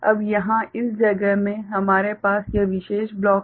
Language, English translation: Hindi, Now, here in this place we are having this particular block